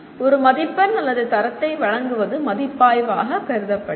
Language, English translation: Tamil, That giving a mark or a grade is considered evaluation